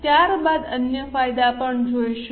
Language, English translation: Gujarati, We will see the other advantages also